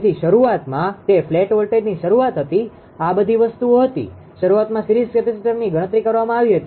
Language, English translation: Gujarati, So, initially it was a flat voltage start all these things initially have been calculated a series capacitor